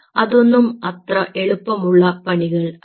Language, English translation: Malayalam, these are not easy job